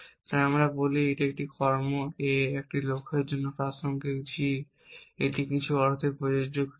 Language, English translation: Bengali, So we say an action A is relevant for a goal g this is an some sense applicable actions